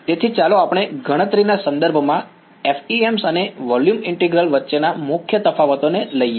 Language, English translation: Gujarati, So, let us take and whatever the main differences between FEM and volume integral in terms of computation